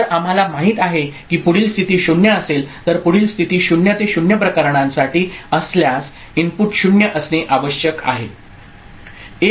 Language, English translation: Marathi, So, we know if the next state is 0 right the input need to present is 0 if the next state is for 0 to 0 cases